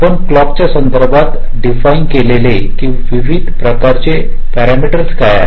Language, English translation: Marathi, what are the different kinds of parameters that you define with respect to a clock